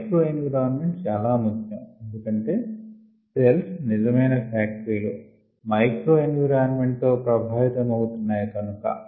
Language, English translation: Telugu, from an industry point of view, microenvironment is important, as we mentioned, because cells, the actual factories, they are influenced by the microenvironment